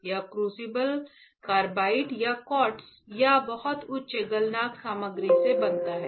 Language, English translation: Hindi, This crucible is made up of carbide or quartz or a very high melting point material